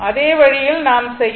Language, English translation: Tamil, So, same way it can be written